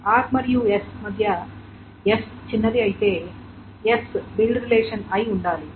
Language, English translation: Telugu, So between R and S, S is smaller, S should be the build relation